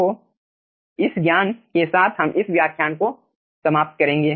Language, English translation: Hindi, okay, so with this knowledge we will be ending this lecture